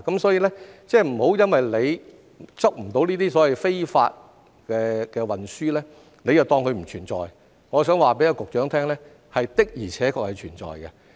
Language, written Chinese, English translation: Cantonese, 所以，不要因為捉不到這些非法運輸，便當它不存在，我想告訴局長，這的而且確是存在的。, So please do not take that illegal shipment does not exist just because no such case has been caught . I would like to tell the Secretary that it does exist